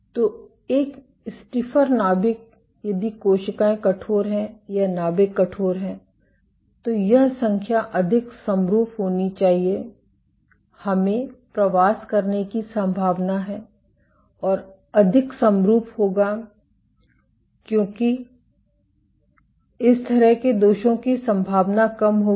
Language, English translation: Hindi, So, a stiffer nucleus, if cells are stiff cells or nuclei are stiff, then this population should be more homogeneous, let us likely to migrate and will be more homogeneous, because this kind of defects will be less likely